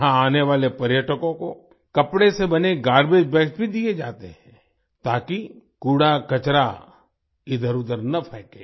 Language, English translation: Hindi, Garbage bags made of cloth are also given to the tourists coming here so that the garbage is not strewn around